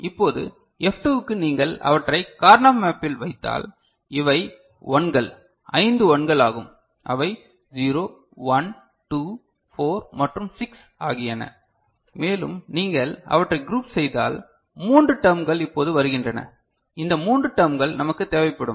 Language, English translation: Tamil, Now, for F2 if you just put them in the Karnaugh map, so these are the 1s five 1s that are there 0, 1, 2, 4 and 6 and if you group them, three terms are coming now these three terms you will see that we will require ok